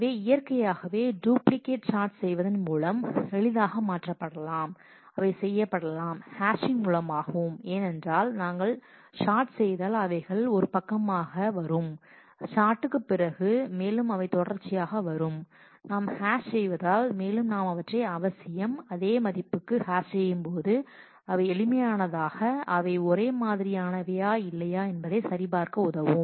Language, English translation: Tamil, So, duplicate naturally can be very easily eliminated through sorting, they can be done through hashing also because if we sort they will come on side by they will come consecutively after the sort, if we hash then they will necessarily hash to the same value which becomes easier to check whether they are identical or not